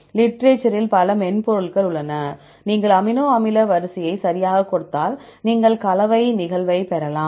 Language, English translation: Tamil, There are several software available in the literature, just you give the amino acid sequence right then you can get the composition occurrence